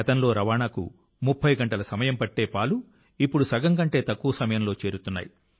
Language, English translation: Telugu, Earlier the milk which used to take 30 hours to reach is now reaching in less than half the time